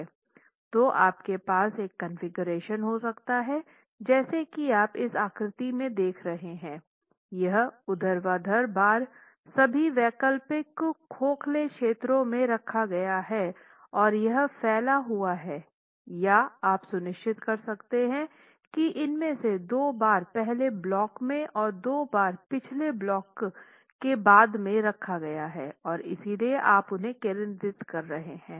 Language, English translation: Hindi, So you can either have a configuration where as you see in the figure, these vertical bars have been placed in all the alternate hollow regions or you could, and it's spread, or you could ensure that two of these bars are placed in the first block and two of the bars are placed in the last block and therefore you are concentrating them